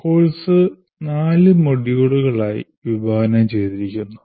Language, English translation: Malayalam, The course is offered as four modules, which we have mentioned earlier